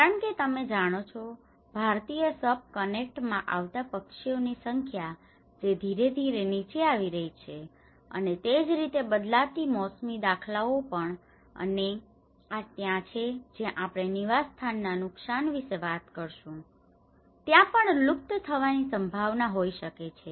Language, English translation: Gujarati, Because you know, the number of birds which are coming to Indian subcontinent that has gradually coming down and the same changing seasonal patterns and this is where we talk about the habitat loss, there might be chances of extinction as well